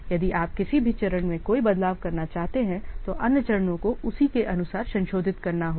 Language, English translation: Hindi, If you want to make any change at any step, the other steps have to be revised accordingly